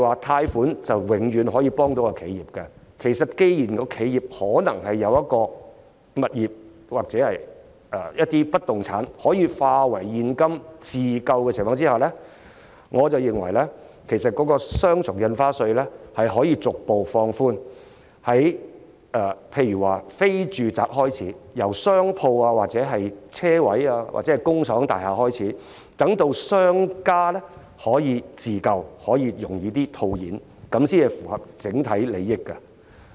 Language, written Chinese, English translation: Cantonese, 貸款不是永遠可以幫到企業，既然企業可能有物業或不動產可以化為現金自救，我認為雙倍印花稅可逐步放寬，例如由商鋪、車位或工廠大廈等非住宅物業開始實施，讓商家可以自救，更容易套現，這樣才符合整體利益。, Loans are not always helpful to enterprises . Since enterprises may own properties or immovable assets that can be turned into cash for self - rescue I reckon that the Double Stamp Duty can be relaxed gradually starting from non - residential properties such as shops parking spaces or factory buildings for example so that businesses can obtain cash more easily for self - rescue purpose . This practice will serve the best overall interest